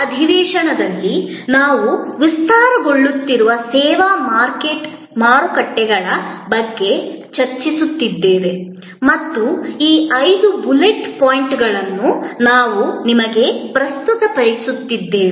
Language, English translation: Kannada, In the last session, we were discussing about the evolving service markets and we presented these five bullet points to you